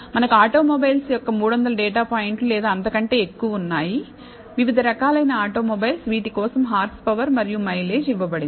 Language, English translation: Telugu, So, we have 300 data points or more of automobiles, different types of automobiles, for which the horsepower and the mileage is given